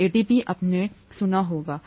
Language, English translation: Hindi, ATP you would have heard, right